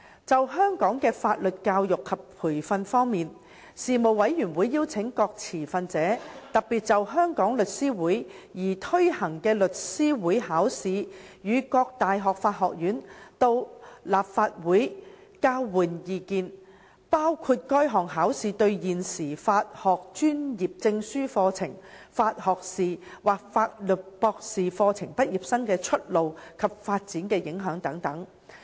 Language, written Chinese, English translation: Cantonese, 就香港的法律教育及培訓方面，事務委員會邀請各持份者特別就香港律師會擬推行的律師會考試與各大學法學院到立法會交換意見，包括該項考試對現時法學專業證書課程、法學士或法律博士課程畢業生的出路及發展的影響等。, Concerning legal education and training in Hong Kong the Panel invited to the Legislative Council various stakeholders and representatives from the law schools of the universities to exchange views especially on the Law Society Examination proposed by The Law Society of Hong Kong including the impact of the Examination on the prospects and development of graduates of Postgraduate Certificate of Laws Bachelor of Laws or Juris Doctor programmes